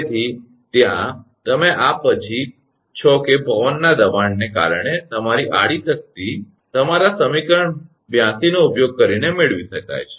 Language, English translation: Gujarati, So, in there you are after this one that your horizontal force due to wind pressure, can be obtained using equation your 82 right